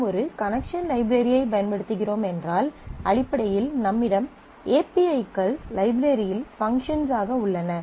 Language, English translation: Tamil, So, for if you are using a connection library then you have a set of APIs application programming interfaces these are basically functions in that library